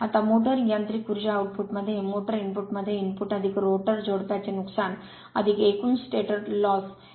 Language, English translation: Marathi, Now input to the motor input to the motor mechanical power output plus the rotor couple loss plus the total stator loss